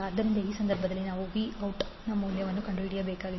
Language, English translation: Kannada, So, in this case, we need to find out the value of v naught